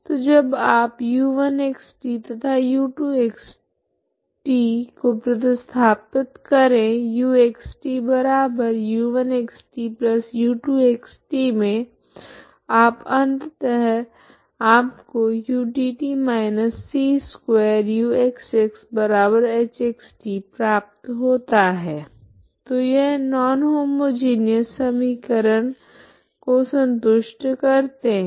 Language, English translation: Hindi, So that when you substitute u1( x ,t ) and u2( x ,t ) to u( x ,t)=u1( x ,t )+u2( x ,t ) you will finally get utt−c2uxx=h( x ,t ) so finally this satisfies non homogeneous equation, okay